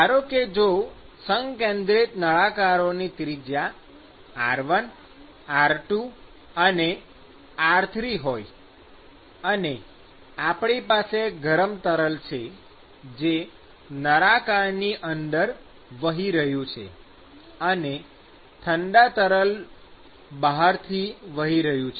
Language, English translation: Gujarati, So, now if radius is r1, r2 and r3; and let us say we have hot fluid which is flowing here and the cold fluid which is flowing outside